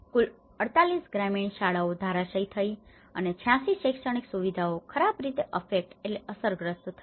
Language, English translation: Gujarati, In total 48 rural schools collapsed and 86 educational facilities were badly affected